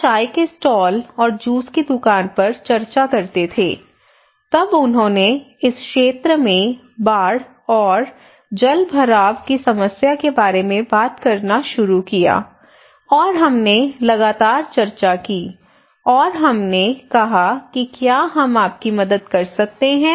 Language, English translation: Hindi, We have chat over on tea stall and juice shop wherever whatever places we have, then they started talk about the flood and waterlogging problem in this area and we had continuous discussions and we said can we help you